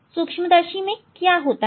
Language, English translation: Hindi, What is there in this microscope